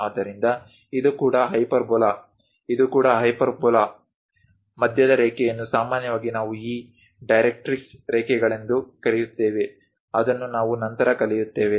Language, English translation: Kannada, So, this is also hyperbola; this one is also hyperbola; the middle line usually we call this directrix lines, which we will learn later